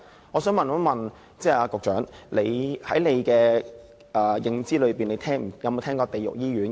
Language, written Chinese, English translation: Cantonese, 我想問局長，在她的認知中，有否聽過"地獄醫院"？, May I ask the Secretary whether she has ever heard of the expression Hells hospitals?